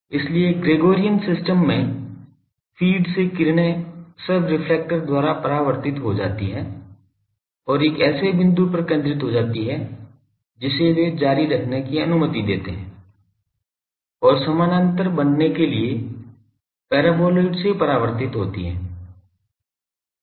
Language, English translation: Hindi, So, in Gregorian system the rays from feed gets reflected by the sub reflector and gets focused at a point they are allowed to continue and gets reflected from the paraboloid to become parallel ok